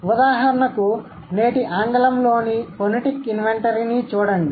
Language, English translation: Telugu, For instance, look at the phonetic inventory of today's English